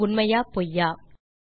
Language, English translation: Tamil, Is True or False